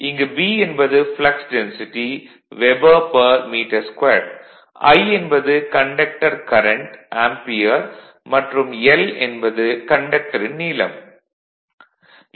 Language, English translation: Tamil, So, B is the flux density Weber per metre square, and I is the current in conductors say ampere, and l is the length of the conductor in metre